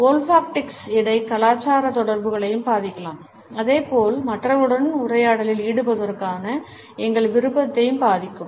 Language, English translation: Tamil, Olfactics can also impact intercultural communication as well as can impair our willingness to be engaged in a dialogue with other people